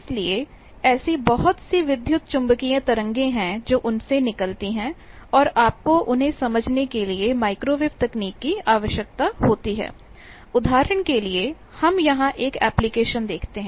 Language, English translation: Hindi, So, there are lot of electromagnetic waves that come out from them and you require microwave technology to understand them like, for example, we see an application here